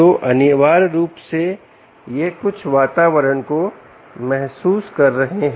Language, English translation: Hindi, so essentially, its ah sensing some environment